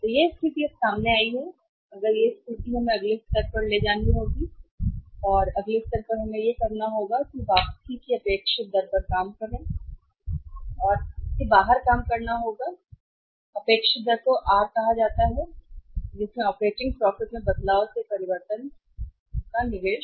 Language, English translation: Hindi, So, this is the situation now has emerged, if this is the situation then we will have to now go for the next level and that next level is that we have to work out the say expected rate of return, we have to work out the expected rate of return and expected rate of return is called as r = change in operating profit divided by the change in investment